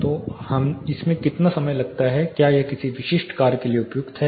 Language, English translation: Hindi, So, how much time it takes whether that is suitable for a specific task